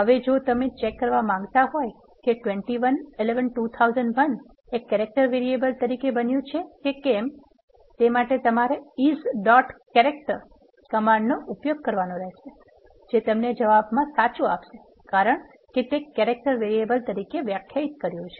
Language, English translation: Gujarati, Now, if you going to ask whether this; the character variable which have created 21 11 2001 is this character type variable, you can use this command is dot character the result is true because you have defined it as a character variable